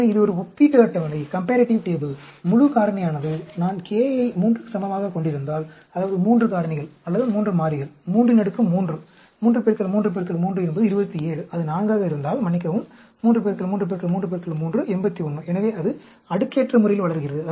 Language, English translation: Tamil, So, this is a comparative table; full factorial, if am having k is equal to 3, that means 3 factors, or 3 variables, 3 raised to the power 3, 3 into 3 into 3 is 27; and then, if it is 4, sorry, 3 into 3 into 3 into 3, 81; so, it grows up exponentially